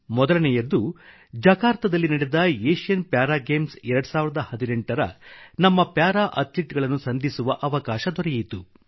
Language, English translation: Kannada, First, I got an opportunity to meet our Para Athletes who participated in the Asian Para Games 2018 held at Jakarta